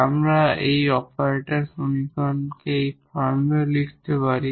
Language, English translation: Bengali, So, first we need to write the equation in the operator form